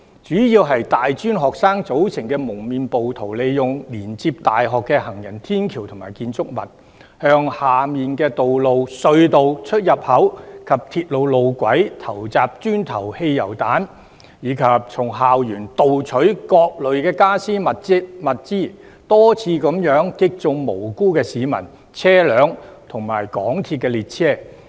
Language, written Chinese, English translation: Cantonese, 主要由大專學生組成的蒙面暴徒，利用連接大學的行人天橋及建築物，向下面的道路、隧道出入口及鐵路路軌投擲磚頭和汽油彈，以及從校園盜取各類傢俬和物資，多次擊中無辜市民、車輛及港鐵列車。, Masked rioters made up mostly of tertiary institution students have used pedestrian bridges and buildings connected to universities to throw bricks and petrol bombs down onto the roads tunnel exits and railway tracks . They threw furniture and objects stolen from school campus which repeatedly hit innocent people vehicles and MTR trains